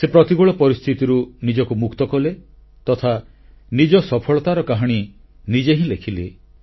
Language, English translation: Odia, He overcame the adverse situation and scripted his own success story